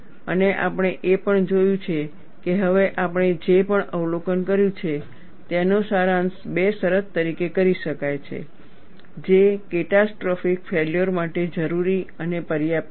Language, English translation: Gujarati, And we have also looked at, whatever the observation we have made now, could be summarized as two conditions, which are necessary and sufficient for catastrophic failure